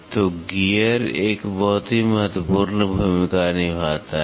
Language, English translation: Hindi, So, gear plays a very very important role